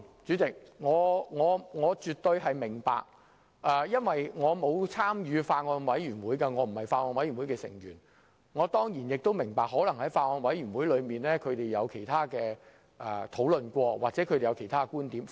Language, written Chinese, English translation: Cantonese, 雖然我沒有參與法案委員會，並非其中一員，但我當然也理解在法案委員會的會議上，委員可能曾進行其他討論或提出其他觀點。, Although I have not joined the Bills Committee as a member I certainly understand that at meetings of the Bills Committee members may have had other discussions or put forward other views